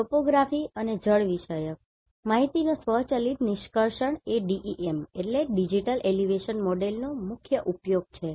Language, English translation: Gujarati, So, automatic extraction of topography and hydrological information is one of the major use of the DEMs